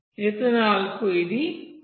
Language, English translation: Telugu, For ethanol it is one